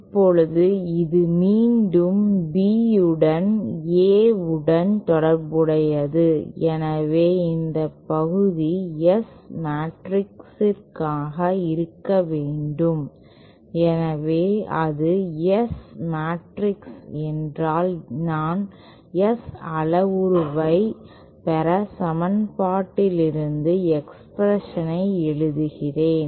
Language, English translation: Tamil, Now this is again relating B to A so then this part must be the S matrix so if that is the S matrix then let me write down the for the expression so from the equation that I just derived S parameter matrix than the given like this